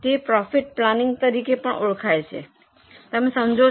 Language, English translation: Gujarati, That is also known as profit planning